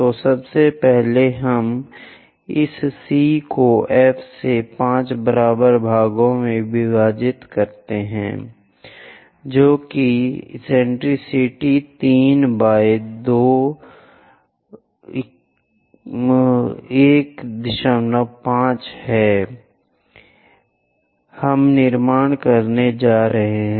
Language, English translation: Hindi, So, first, we divide this C to F into 5 equal parts in such a way that eccentricity 3 by 2 are 1